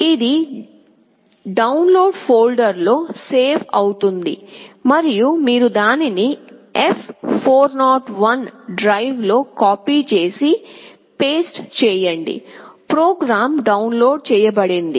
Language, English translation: Telugu, It will get saved into the download folder and you copy and paste it to the F401 drive, the program has been downloaded